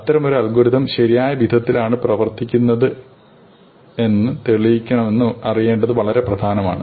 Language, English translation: Malayalam, It is important to know how to prove such an algorithm is correct